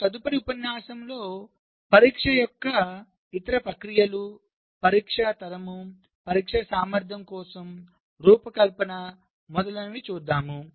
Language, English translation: Telugu, ok, so in our next lecture that will follow, we shall be looking at the other processes of testing, like test generation, design for test ability, etcetera